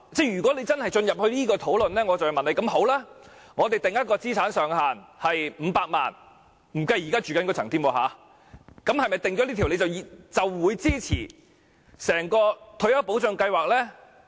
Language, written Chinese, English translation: Cantonese, 如果真的要進行這項討論，我便要問，如果我們把資產上限設於500萬元——不計他們現正居住的物業——是否訂下這條界線，他們便會支持整項退休保障計劃呢？, If we are to conduct such a discussion I would like to ask the following question if we set the asset limit at 5 million―excluding the properties in which they are now living―will they support the entire retirement protection scheme if such a line is drawn?